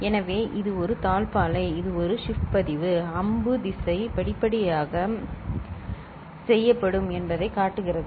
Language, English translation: Tamil, So, this is a latch right, this is a shift register the arrow direction shows that gradually it will be shifted ok